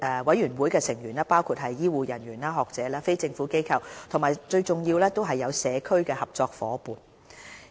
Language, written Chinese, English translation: Cantonese, 委員會的成員包括醫護人員、學者、非政府機構和最重要的社區合作夥伴。, Apart from health care professionals academics NGOs the engagement of community partners to participate in the Steering Committee is also important